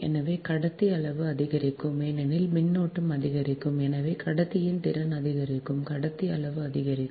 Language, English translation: Tamil, so this, thus conductor size will increase, because current will increase, right therefore, ampacity of the conductor will increase